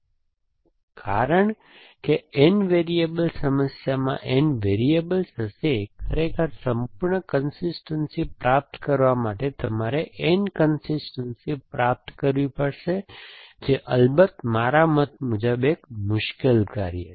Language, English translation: Gujarati, But, since an N variable problem will have N variable, so we, to really achieve full consistency you would have to achieve N consistency, which off course is you can take it from me is a hard task